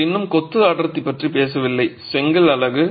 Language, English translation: Tamil, We are not talking of density of masonry at brick unit